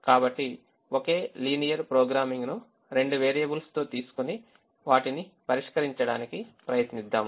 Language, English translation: Telugu, so let us take the same linear programming with two variables and try to solve them